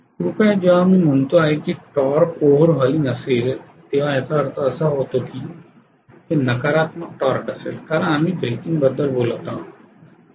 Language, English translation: Marathi, Please understand the moment I say it is over hauling torque that means this has going to be a negative torque because we are talking about breaking